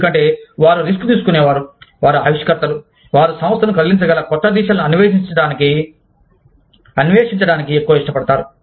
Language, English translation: Telugu, Because, they are risk takers, they are innovators, they are more willing to explore, the new directions, that the organization can move in